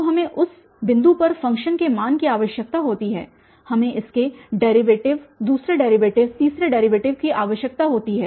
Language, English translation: Hindi, So, we need the function value at that point, we need its derivative, second derivative, third derivative and so on